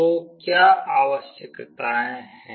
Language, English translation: Hindi, So, what are the requirements